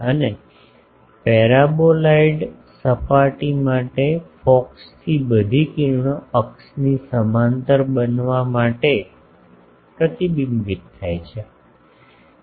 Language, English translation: Gujarati, And, for the paraboloid surface all rays from focus are reflected to become parallel to axis